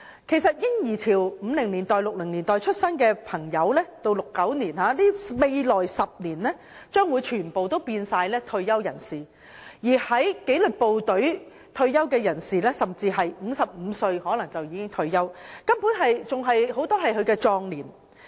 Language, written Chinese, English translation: Cantonese, 其實在嬰兒潮即1950年代或1960年代出生的人，在未來10年將全部變成退休人士，而在紀律部隊工作的人甚至可能在55歲退休，根本正值壯年。, In fact the baby boomers born in the 1950s or the 1960s will all become retirees in the coming decade and disciplined services staff may even retire at the age of 55 when they are in the prime of life